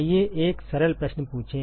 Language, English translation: Hindi, Let us ask a simpler question